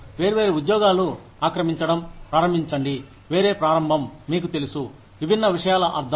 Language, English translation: Telugu, Different jobs, start occupying, a different start, you know, meaning different things